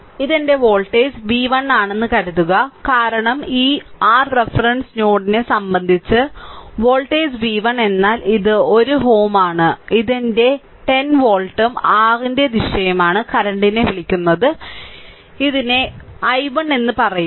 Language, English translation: Malayalam, Suppose this is my voltage v 1 right and then because voltage v 1 means with respect to this your reference ah reference node right and then if I make it like this, this is one ohm this is my 10 volt right and direction of the your what we call the current this is say i 1 like this right